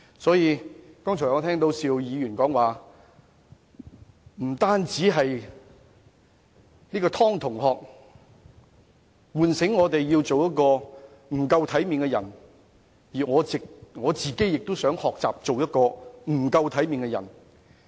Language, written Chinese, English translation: Cantonese, 我剛才聽到邵議員說，不單湯同學喚醒我們要做一個不夠體面的人，他自己亦想學做一個不夠體面的人。, Just now I heard Mr SHIU say that the student surnamed TONG not only awoke others that they should learn to be people without proper manners but also wanted to become this kind of people